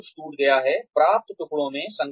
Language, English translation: Hindi, So, everything is broken down, into achievable pieces